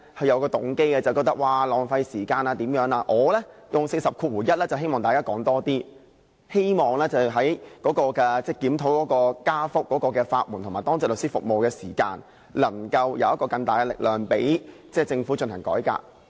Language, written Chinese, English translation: Cantonese, 而我動用《議事規則》第401條則是希望大家多發言，希望藉檢討費用上調及法援和當值律師服務，能有更大力量，令政府進行改革。, On the contrary my intention to invoke RoP 401 is to encourage Members to speak more on the upward adjustment of the legal aid fees as well as the legal aid services and the Duty Lawyer Service in the hope that the review could gather strength to push the Government for reform